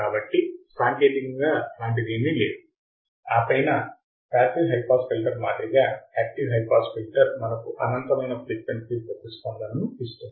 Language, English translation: Telugu, So, technically there is no such thing and then active high pass filter unlike passive high pass filter we have an infinite frequency response